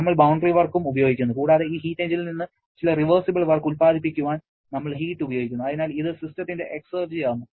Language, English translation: Malayalam, We are using the boundary work and also we are using the heat to produce some reversible work from this heat engine and so this is the exergy of the system